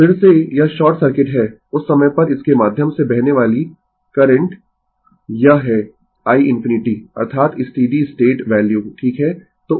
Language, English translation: Hindi, So, again it is short circuit, at that time current flowing through this is i infinity that is the steady state value right